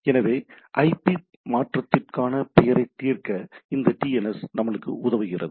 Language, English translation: Tamil, So, this DNS helps us in resolving name to IP conversion